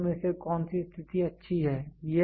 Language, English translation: Hindi, So, which of the two conditions are good